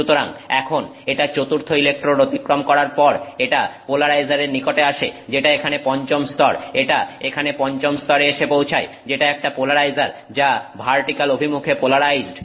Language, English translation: Bengali, So now after it crosses the fourth electrode it will come to the polarizer which is the fifth layer here it arrives at the fifth layer here which is a polarizer which is polarized in the vertical direction